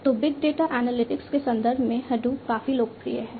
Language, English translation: Hindi, So, Hadoop is quite popular in the context of big data analytics